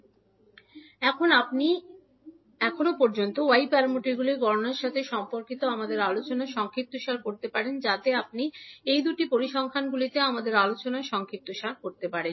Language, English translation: Bengali, So now, you can summarize our discussion till now related to the calculation of y parameters, so you can summarize our discussion in these two figures